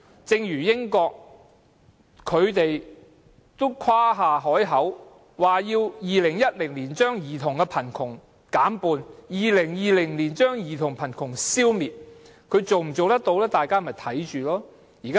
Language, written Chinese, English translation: Cantonese, 正如英國曾誇下海口，表示會在2010年把兒童貧窮的數字減半 ，2020 年要把兒童貧窮消滅，最終能否實踐，大家拭目以待。, As in the case of the United Kingdom it had boldly made the undertaking that the number of children living in poverty would be cut half in 2010 and reduced to zero in 2020